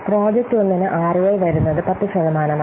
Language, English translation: Malayalam, So, for project 1, ROI is coming to be 10%